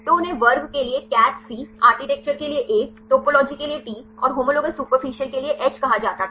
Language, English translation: Hindi, So, this were they called as CATH C for class, A for architecture, T for topology, and H for homologous superfamilies ok